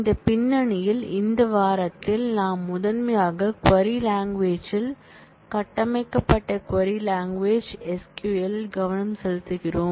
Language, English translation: Tamil, In this background, in this week we are primarily focusing on the query language the structured query language SQL